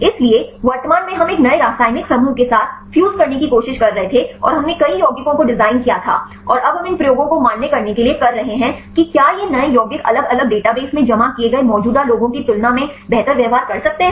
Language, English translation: Hindi, So, currently this we were trying to fuse with a new chemical groups and we designed several compounds and now we are doing these experiments to validate whether these new compounds could behave better than the existing ones the deposited in the different databases